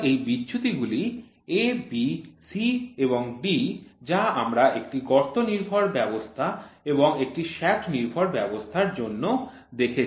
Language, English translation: Bengali, So, these deviations are the A, B, C, D which we saw for a hole base system and for a shaft base system